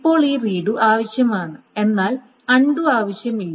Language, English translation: Malayalam, Now this redo is needed but undo is not needed